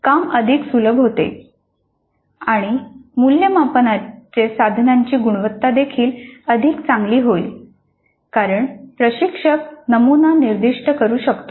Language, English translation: Marathi, So the job becomes much simpler and the quality of the assessment instrument will also be much better because the instructor can specify the pattern